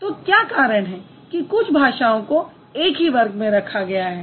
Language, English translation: Hindi, So what's the reason why these are the languages which have been put together